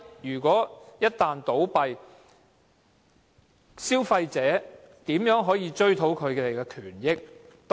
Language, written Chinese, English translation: Cantonese, 如果龕場一旦倒閉，消費者可以怎樣追討賠償？, In the event of the closing down of such columbaria how can consumers seek compensation?